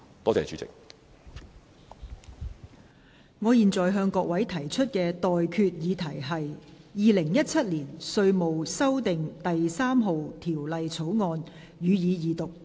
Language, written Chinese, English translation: Cantonese, 我現在向各位提出的待決議題是：《2017年稅務條例草案》，予以二讀。, I now put the question to you and that is That the Inland Revenue Amendment No . 3 Bill 2017 be read the Second time